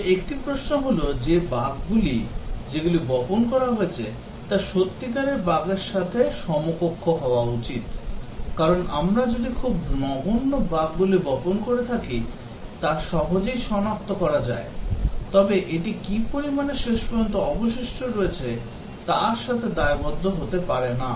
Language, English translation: Bengali, But then, one question is that the bugs that are seeded should match with real bugs, because if we seed only very trivial bugs which are easily detected then that may not correspond to the how many finally the bugs are remaining